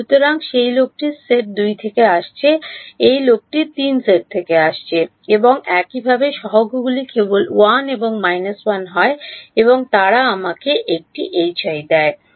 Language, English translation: Bengali, So, this guy is going to come from set 2, this guy is going to come from set 3 and correspondingly the coefficients are simply 1 and minus 1 and they give me a minus H i